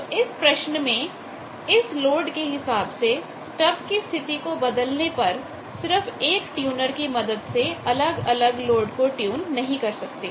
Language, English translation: Hindi, So, changing this problem that from the load that stub position if it is variable then you cannot have a single tuner to tune various loads